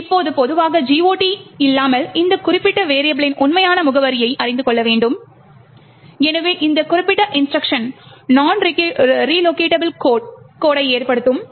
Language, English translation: Tamil, Now, typically without GOT we would require to know the actual address of this particular variable and therefore this particular instruction would result in non relocatable code